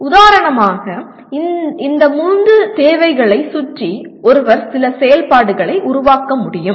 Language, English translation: Tamil, For example, around these three requirements one can build some activities